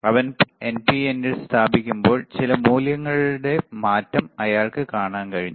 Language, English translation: Malayalam, When he was placing in NPN, he could see the change in some value